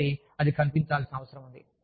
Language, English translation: Telugu, So, that needs to be visible